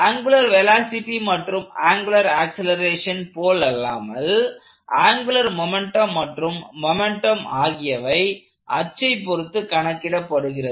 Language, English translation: Tamil, So, as opposed to angular velocities and angular accelerations, angular momentum and moments are computed about fixed axis about axis